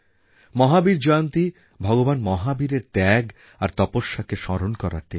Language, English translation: Bengali, The day of Bhagwan Mahavir's birth anniversary is a day to remember his sacrifice and penance